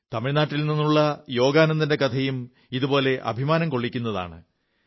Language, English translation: Malayalam, Somewhat similar is the story of Yogananthan of Tamil Nadu which fills you with great pride